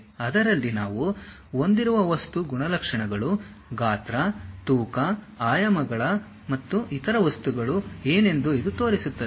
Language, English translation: Kannada, In that it shows what might be the material properties, size, weight, dimensions and other things we will have it